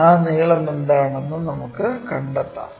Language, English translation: Malayalam, And, let us find what are that lengths